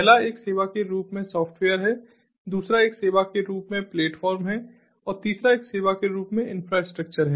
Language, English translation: Hindi, ah, the first one is software as a service, the second one is platform as a service and the third one is infrastructure as a service